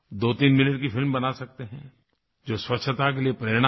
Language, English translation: Hindi, You can film a twothreeminute movie that inspires cleanliness